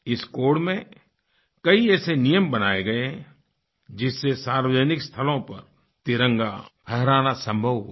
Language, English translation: Hindi, A number of such rules have been included in this code which made it possible to unfurl the tricolor in public places